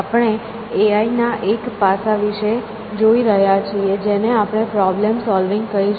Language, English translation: Gujarati, So, we are looking at one aspect of A I, which we will call as problem solving